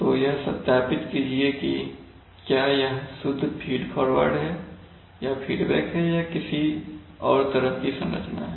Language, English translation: Hindi, So justify whether it is a pure feed forward or for feedback or what sort of a structure it is